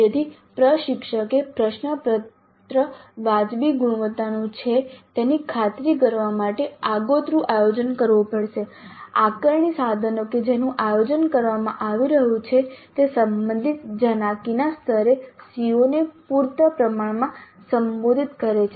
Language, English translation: Gujarati, So, the instructor has to have upfront planning to ensure that the question paper is of reasonable quality, the assessment instruments that are being planned do address the CBOs sufficiently at the relevant cognitive levels